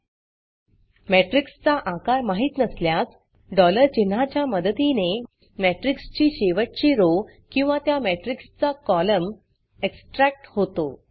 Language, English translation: Marathi, If the size of the matrix is not known $ symbol can be used to extarct the last row or column of that matrix